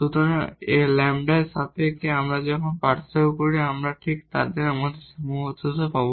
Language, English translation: Bengali, So, with respect to lambda when we differentiate we will get exactly our constraint